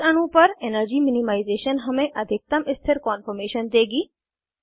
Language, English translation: Hindi, Energy minimization on this molecule will give us the most stable conformation